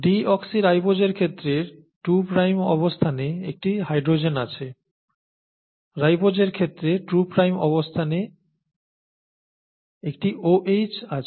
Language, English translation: Bengali, In the case of deoxyribose you have an H in the two prime position, in the case of ribose you have an OH in the two prime position